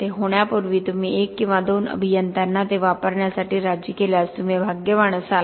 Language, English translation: Marathi, Before that happens you would be lucky if you persuade 1 or 2 engineers to use it